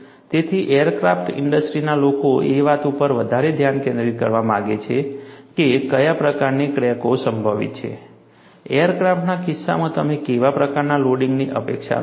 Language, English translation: Gujarati, So, aircraft industry people would like to focus more on what kind of cracks are probable, what kind of loading you anticipate in the case of aircrafts